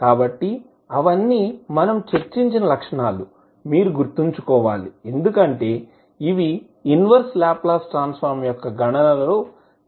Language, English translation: Telugu, So, all those, the properties which we have discussed, you have to keep in mind because these will be used frequently in the, calculation of inverse Laplace transform